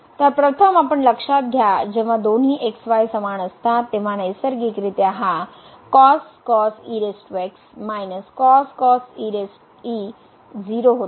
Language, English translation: Marathi, So, first we note that when both are equal , are equal then naturally this power minus was and is equal to